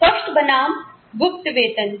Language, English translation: Hindi, Open versus secret pay